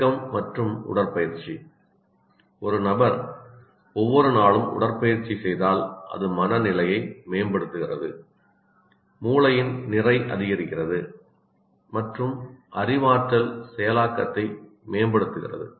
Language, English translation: Tamil, And movement and exercise, that is if a person continuously exercises every day, it improves the mood, increases the brain mass and enhance cognitive processing